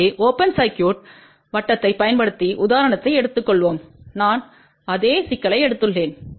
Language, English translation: Tamil, So, let us just take example using open circuited I have taken exactly the same problem